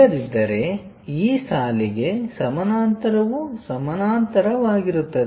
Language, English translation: Kannada, Otherwise, parallel to this line this line also parallel